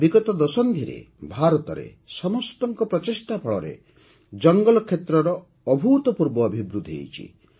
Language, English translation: Odia, During the last decade, through collective efforts, there has been an unprecedented expansion of forest area in India